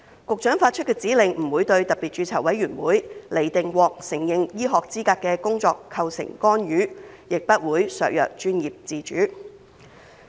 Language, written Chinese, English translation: Cantonese, 局長發出的指令不會對特別註冊委員會釐定獲承認醫學資格的工作構成干預，亦不會削弱專業自主。, The Secretarys directives will neither interfere with SRCs decisions on recognized medical qualifications nor undermine professional autonomy